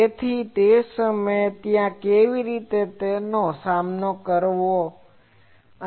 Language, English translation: Gujarati, So that time, there are ways how to tackle those